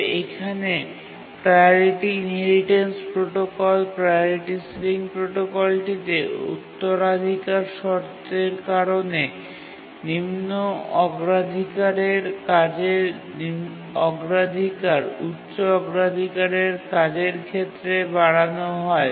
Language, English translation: Bengali, But here, due to the inheritance clause in the priority inheritance protocol, priority sealing protocol, the priority of the low priority task is enhanced to that of the high priority task